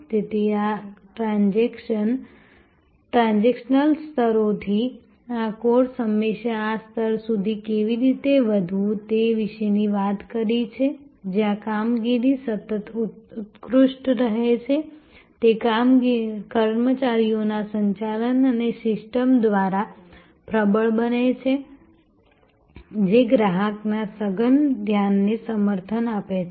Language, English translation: Gujarati, So, from these transactional levels, this course has always talked about how to rise to this level, where the operations continually excel, it is reinforced by personnel management and system that support an intense customer focus